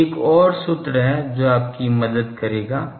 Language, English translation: Hindi, So, there the there is another formula which will help you